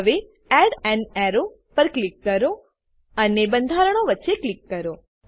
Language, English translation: Gujarati, Now, click on Add an arrow and click between the structures